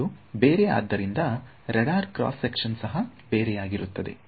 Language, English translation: Kannada, So, they are different and therefore, the radar cross section is going to be different